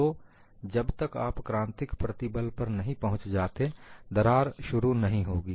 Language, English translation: Hindi, So, until you reach a critical stress, the crack will not initiate